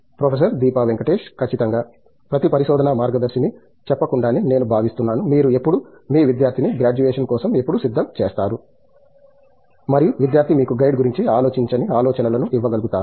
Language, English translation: Telugu, Absolutely, I think that goes without saying every research guide, when do you again get your student ready for graduation and the student is able to give you ideas which the guide is not thought about